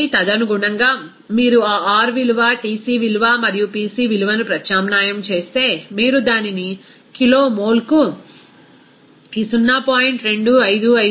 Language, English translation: Telugu, So, accordingly, if you substitute that R value, Tc value and Pc value, you can get it this 0